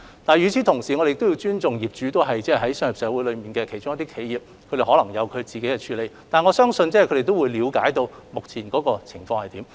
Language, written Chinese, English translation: Cantonese, 但是，與此同時，我們亦須尊重業主是商業社會中的企業，他們可能也有自身一套處理方法，但我相信他們必定了解目前的社會狀況如何。, However in the meantime we must also respect the fact that as enterprises in a commercial society landlords may address the issue in their own way but I am sure they definitely understand what the current social situation is